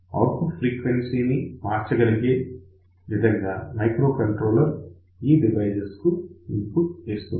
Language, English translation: Telugu, So, basically microcontroller will give input to this particular device, so that you can change the output frequency